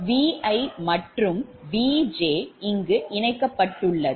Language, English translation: Tamil, this is your v i, v j and this connected